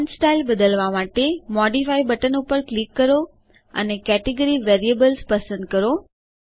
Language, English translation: Gujarati, To modify the font style, click on the Modify button and choose the category Variables